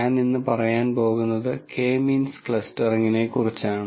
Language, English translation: Malayalam, I am going to talk about K means clustering today